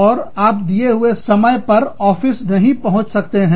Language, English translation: Hindi, You just cannot reach the office, on time